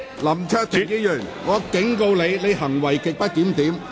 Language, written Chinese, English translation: Cantonese, 林卓廷議員，我警告你，你行為極不檢點。, Mr LAM Cheuk - ting I warn you . You have behaved in a grossly disorderly manner